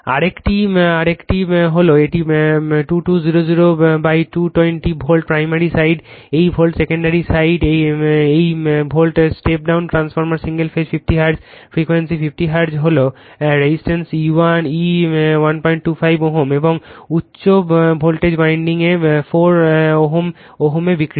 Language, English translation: Bengali, Another one is a 2200 220 Volt primary side this Volt secondary side this Volt step down transformer single phase 50 Hertz frequency is 50 Hertz areresistance 1